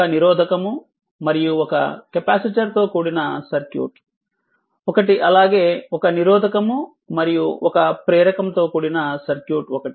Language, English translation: Telugu, A circuit you are comprising a resistor and a capacitor and a circuit comprising a resistor and your inductor